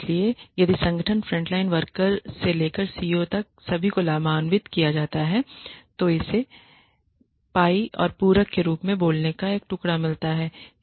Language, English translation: Hindi, So, if the organization makes a profit everybody right from the frontline workers to the CEO gets a piece of the pie and metaphorically speaking